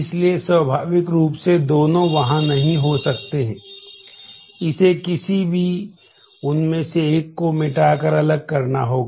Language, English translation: Hindi, So, naturally both of them cannot be there, it will have to be made distinct by erasing any one of them